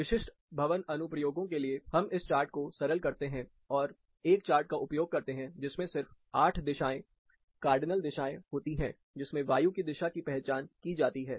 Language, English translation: Hindi, For specific building applications, we simplify this chart, and use a chart, which is just having 8 directions, cardinal directions, in which the wind vectors are identified